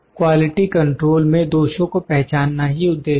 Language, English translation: Hindi, The goal in the quality control is to identify defects